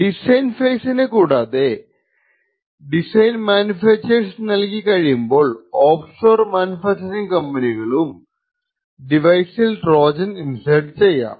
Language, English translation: Malayalam, In addition to the design phase once the design is actually sent out for manufacture the offshore manufacturing companies may also insert Trojans in the device